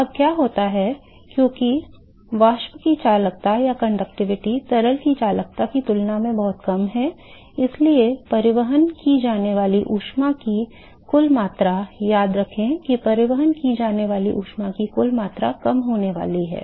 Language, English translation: Hindi, Now what happens is because the because the conductivity of the vapor is much smaller than the conductivity of the liquid, ok, so, the net amount of heat that is transported, remember the net amount of heat that is transported is going to reduce